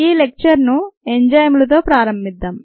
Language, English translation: Telugu, let us begin this lecture with enzymes